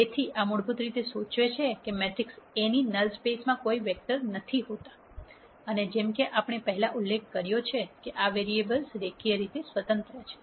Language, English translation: Gujarati, So, this basically implies that null space of the matrix A does not contain any vectors and as we mentioned before these variables are linearly independent